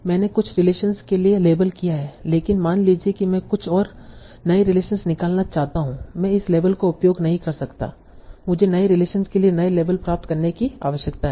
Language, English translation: Hindi, So I have labeled for some relations but suppose I want to now extract some new relation I cannot use this labels